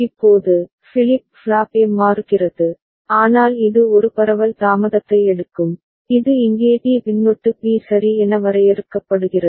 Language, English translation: Tamil, Now, flip flop A is changing, but it will take a propagation delay which is defined here as t suffix p right